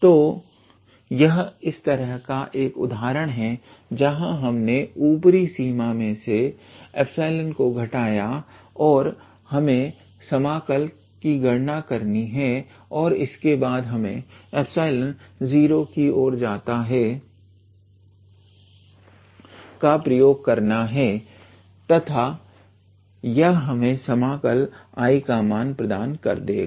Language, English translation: Hindi, So, this is a one such example where we have subtracted the epsilon from the upper limit and we just have to calculate the integral and then pass on that epsilon goes to 0 and that will give us the value of the integral I